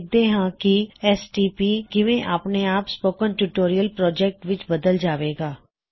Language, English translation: Punjabi, So let us see how an abbreviation like stp gets automatically converted to Spoken Tutorial Project